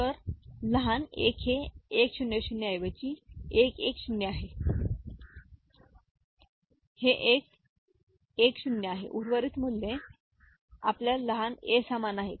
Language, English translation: Marathi, So, small a is 1 1 0 this instead of 1 0 0, this is 1 1 0, rest of the values are remaining same that is your small a